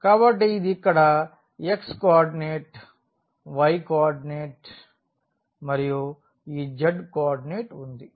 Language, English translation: Telugu, So, this is the picture here the x coordinate y coordinate and this z coordinate